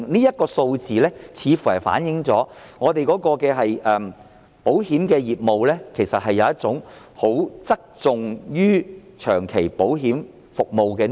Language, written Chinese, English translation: Cantonese, 這些數字反映我們的保險業務側重於長期保險服務。, These figures show that our insurance business has tilted towards long - term insurance services